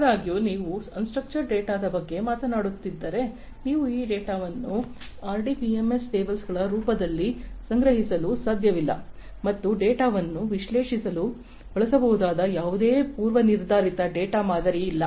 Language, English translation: Kannada, However, if you are talking about unstructured data you cannot store this data in the form of RDBMS tables and there is no predefined data model that could be used to analyze this data